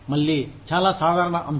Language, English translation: Telugu, Again, very general topic